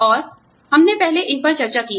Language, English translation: Hindi, And, we have discussed these earlier